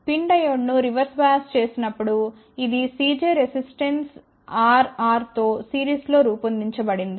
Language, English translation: Telugu, When pin diode is reversed bias it was modeled as C j in series with R r resistance